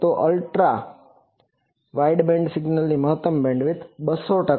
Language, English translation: Gujarati, So, an Ultra wideband signal it is maximum bandwidth is 200 percent